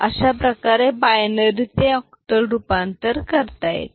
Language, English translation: Marathi, So, this is way from binary to octal conversion can be done